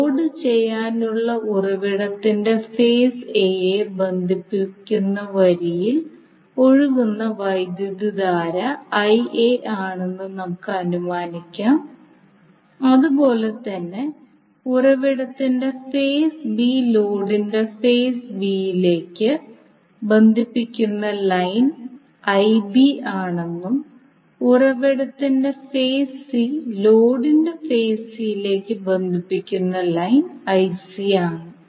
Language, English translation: Malayalam, Now let us assume that the current which is flowing in the line connecting phase A of the source to load is IA, similarly the line connecting phase B of the source to phase B of the load is IB and a line connecting C phase of the source to C phase of the load is IC